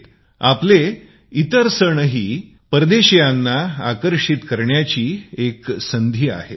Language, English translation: Marathi, Other festivals of our country too, provide an opportunity to attract foreign visitors